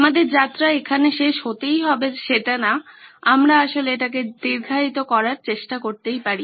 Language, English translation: Bengali, Our journey does not have to come to an end we can actually try to prolong it